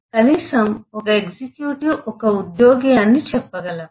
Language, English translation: Telugu, again, at least say an executive is an employee